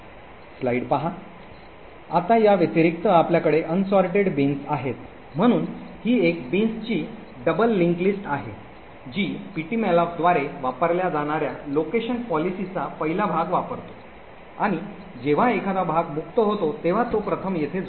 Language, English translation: Marathi, Now besides this we have unsorted bins so this is one bin which is a double link list that it could have a chunks of any size the allocation policy used by ptmalloc is to use the first chunk that fits when a chunk is freed it gets first added here